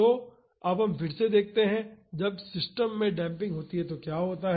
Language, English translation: Hindi, So, now again let us find what happens when damping is there in the system